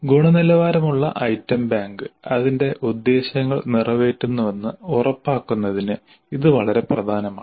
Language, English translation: Malayalam, That is very important to ensure that the quality item bank serves its purpose